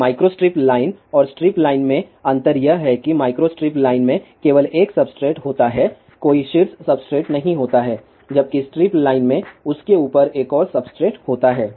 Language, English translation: Hindi, Now difference between micro strip line and strip line is that in the micro strip line, there is a only 1 substrate, there is a no top substrate, whereas, in strip line, there is a another substrate on top of that